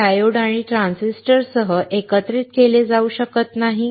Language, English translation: Marathi, It cannot be integrated with diodes and transistors